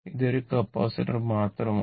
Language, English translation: Malayalam, It is a capacitor only